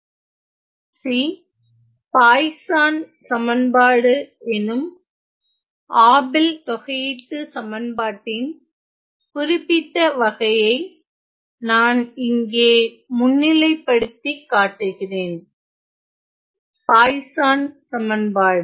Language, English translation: Tamil, So, let me just highlight one specific case of Abel’s integral equation namely the Poisson equation, the Poisons equation